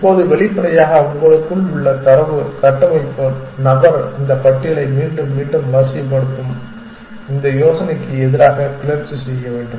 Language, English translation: Tamil, Now, obviously the data structure person inside you must be rebelling against this idea sorting this list again and again and again because sorting is expensive